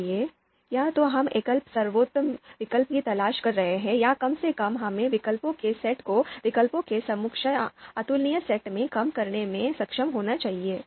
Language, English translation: Hindi, So, either we are looking for best alternative single best alternative or at least we should be able to reduce the set of alternatives to a you know equivalent or incomparable set of you know alternatives